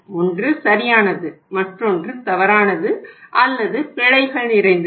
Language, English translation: Tamil, One is correct and the another one is the incorrect or full of errors